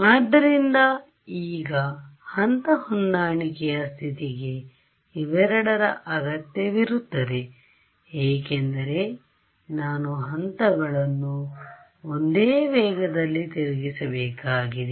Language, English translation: Kannada, So, now phase matching condition required this and this right because the phases I have to rotate at the same speed ok